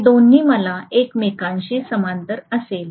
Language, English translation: Marathi, So I will have both of these in parallel with each other